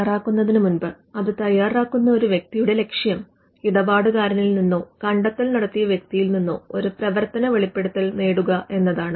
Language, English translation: Malayalam, Getting a working disclosure: Before drafting a patent, the objective of a person who drafts a patent will be to get a working disclosure from the client or the inventor